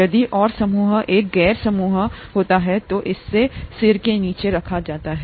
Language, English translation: Hindi, If the R group happens to be a nonpolar group, then it is grouped under this head